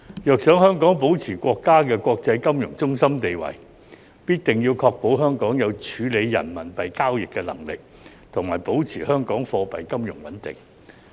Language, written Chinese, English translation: Cantonese, 若想香港保持國家的國際金融中心的地位，必定要確保香港有處理人民幣交易的能力，以及保持香港貨幣金融穩定。, If we wish to maintain Hong Kongs status as an international financial centre of the country it is imperative to ensure Hong Kongs ability to deal with RMB transactions and preserve Hong Kongs monetary and financial stability